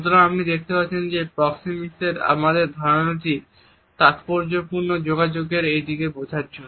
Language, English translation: Bengali, So, you would find that our understanding of proximity is significant in understanding these aspects of our communication